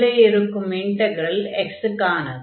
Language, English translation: Tamil, So, and integrand is going to be x